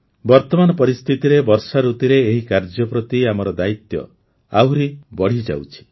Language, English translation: Odia, These days during monsoon, our responsibility in this direction increases manifold